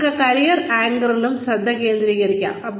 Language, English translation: Malayalam, One could also focus on, career anchors